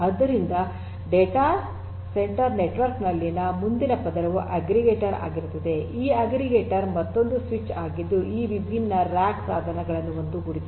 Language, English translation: Kannada, So, then what we are going to have is the next layer over here in a data centre network will be some kind of an aggregator, this aggregator is another switch which is going to aggregate these different these different rack devices this is another aggregator